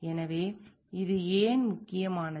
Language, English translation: Tamil, So, why it is important